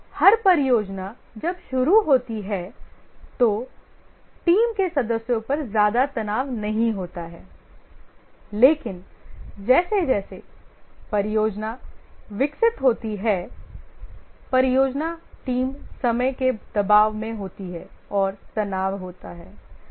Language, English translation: Hindi, Every project when it starts, there is not much stress on the team members, but as the project develops, the project team is under time pressure and there is a stress